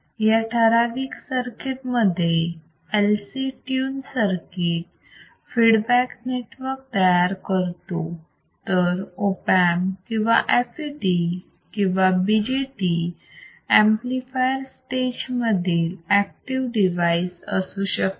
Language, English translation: Marathi, So, in this particular circuit, what we are looking at the LC tuned circuit forms a feedback network while an Op amp or FET or BJT can be an active devices atin the amplifier stage right